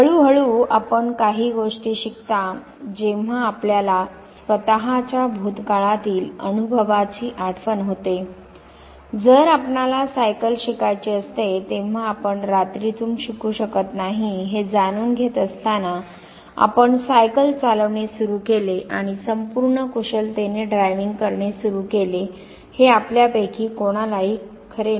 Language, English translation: Marathi, So, gradually you learn certain things recollect your own past experience when you try to learn how to ride a bicycle it was not at overnight you started now riding a bicycle and driving it maneuvering it with a full skill that is not true for anyone of us